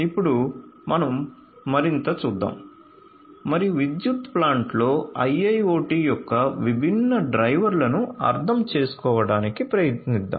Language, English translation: Telugu, So, let us now look at further and try to understand the different drivers of IIoT in the power plant